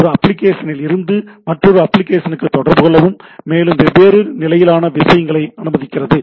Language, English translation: Tamil, So, that it can allows you to talk application to application and at different level of the things